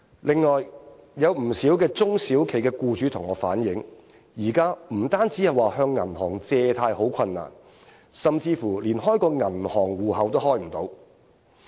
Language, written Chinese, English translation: Cantonese, 此外，有不少中小型企業僱主向我反映，現時不單向銀行借貸好困難，甚至乎連開銀行戶口都開不到。, Furthermore many owners of small and medium enterprises SMEs have relayed to me that it is difficult to obtain bank loans . In fact they are even unable to open bank accounts